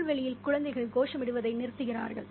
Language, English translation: Tamil, Out on the lawn the children stopped chanting